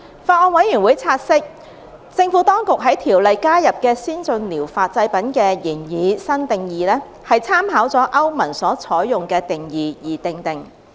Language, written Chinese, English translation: Cantonese, 法案委員會察悉，政府當局在《條例》加入的先進療法製品的擬議新定義，參考了歐盟所採用的定義而訂定。, The Bills Committee noted that the Administration had referred to the definition adopted by the European Union EU in formulating the proposed new definition of ATPs to be added to the Ordinance